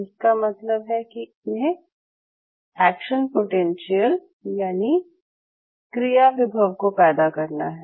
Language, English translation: Hindi, So, in other word it should be able to shoot an action potential